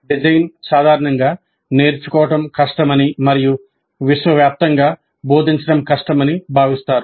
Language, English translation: Telugu, Design is generally considered difficult to learn and more universally considered difficult to teach